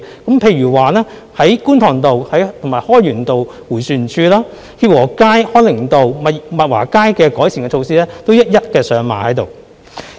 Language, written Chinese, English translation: Cantonese, 舉例來說，在觀塘道和開源道迴旋處、協和街、康寧道和物華街的改善措施均一一上馬。, For instance traffic improvement measures have already been rolled out at the Kwun Tong RoadHoi Yuen Road roundabout Hip Wo Street Hong Ning Road and Mut Wah Street